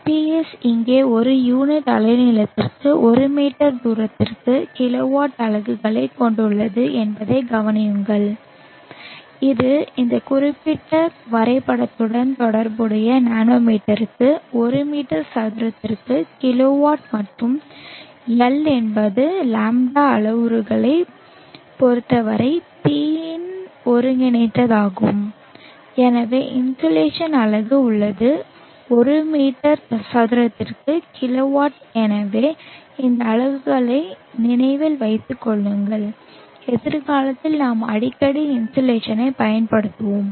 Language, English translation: Tamil, We observe that PS here as the units of kilo watt per meter square per unit wavelength which is kilowatt per meter square per nanometer corresponding to this particular graph and L is an integral of P with respect to the lambda parameter and therefore the insulation has the units of kilowatt per meter square so remember this units we will be using insulation quite frequently in future